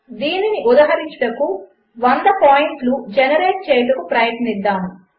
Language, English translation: Telugu, To illustrate this, lets try to generate 100 points